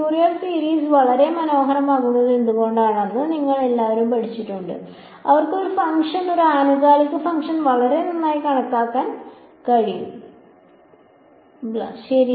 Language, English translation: Malayalam, You have all studied why Furrier series are very nice they can approximate a function a periodic function very well blah, blah right